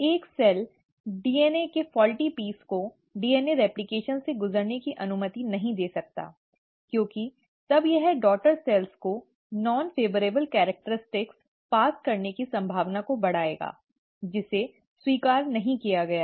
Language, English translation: Hindi, A cell cannot afford to allow a faulty piece of DNA to undergo DNA replication because then, it will enhance the chances of passing on the non favourable characters to the daughter cells, which is not accepted